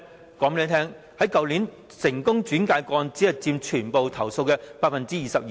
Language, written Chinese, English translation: Cantonese, 我告訴大家，去年獲成功轉介的個案只佔全部投訴的 22%。, I can tell Members that the number of successful referrals last year merely accounted for 22 % of the total number of complaints